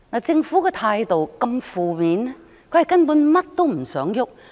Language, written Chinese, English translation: Cantonese, 政府的態度如此負面，根本是甚麼也不想做。, The Governments attitude is so negative . It actually does not want to do anything at all